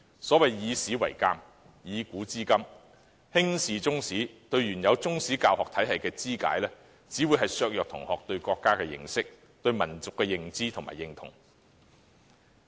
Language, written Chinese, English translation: Cantonese, 所謂"以史為鑒，以古知今"，輕視中史及對原有中史教學體系的肢解，只會削弱同學對國家的認識，以及對民族的認知和認同。, Neglecting Chinese history and dismembering Chinese history education will only weaken students understanding of their country as well as their sense of recognition and identification with the nation